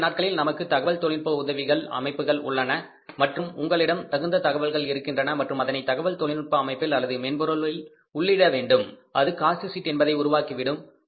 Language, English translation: Tamil, These days we have the IT supported systems and if you have the relevant information available with you and if you put it in the IT systems or in the software it will generate a cost sheet which will give us the total cost of the product